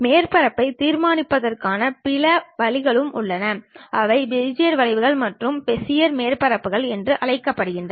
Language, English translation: Tamil, There are other ways of constructing surfaces also, those are called Bezier curves and Bezier surfaces